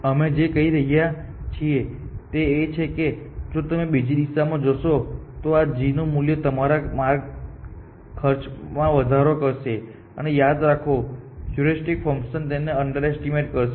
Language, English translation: Gujarati, All we are saying is that if you go of in some other direction your path cost will become more than the cost of this g value and remember that the heuristic function underestimate